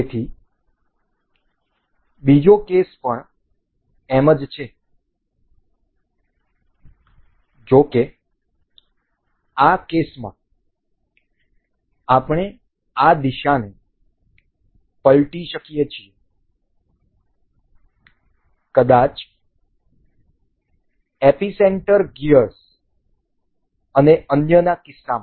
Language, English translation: Gujarati, So, similar is the other case; however, in this case we can reverse these direction, in case of maybe epicenter gears and others